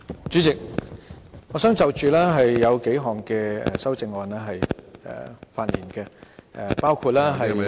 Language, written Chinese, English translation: Cantonese, 主席，我想就數項修正案發言，包括......, Chairman I wish to speak on a few Committee Stage amendments CSAs including